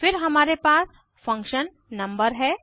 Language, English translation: Hindi, Then we have function number